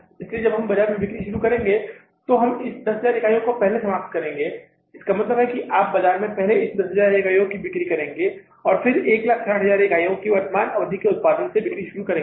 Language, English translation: Hindi, So, then we will start selling in the market, first we will exhaust these 10,000 units, we will sell these 10,000 units in the market, and then we start selling from the current period of the 16,000 units